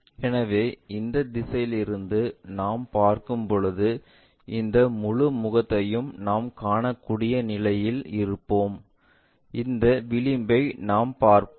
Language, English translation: Tamil, So, when we are looking from this direction this entire face we will be in a position to see and that edge we will see